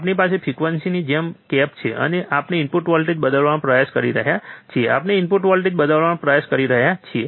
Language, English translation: Gujarati, We have cap the frequency as it is, and we have we are trying to change the input voltage, we are trying to change the input voltage